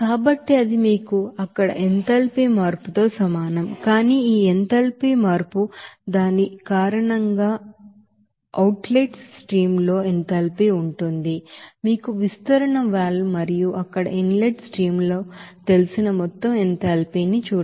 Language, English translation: Telugu, So that will be is equal to you know enthalpy change there but this enthalpy change will be because of that what will be the enthalpy in the outlet stream of this you know expansion valve and total enthalpy in the you know inlet streams there